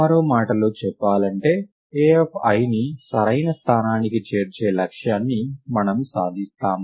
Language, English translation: Telugu, In other words we achieve the goal of inserting a of i into the correct position